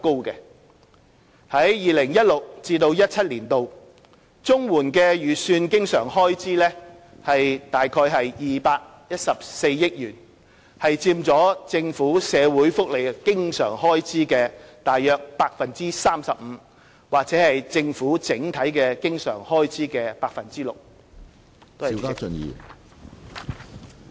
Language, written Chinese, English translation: Cantonese, 在 2016-2017 年度，綜援的預算經常開支約214億元，佔政府社會福利經常開支約 35% 或政府整體經常開支約 6%。, In 2016 - 2017 the estimated recurrent expenditure of CSSA is 21.4 billion representing about 35 % of the Governments social welfare recurrent expenditure or about 6 % of the Governments overall recurrent expenditure